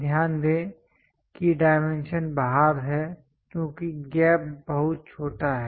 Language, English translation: Hindi, Note that the dimension is outside because the gap is too small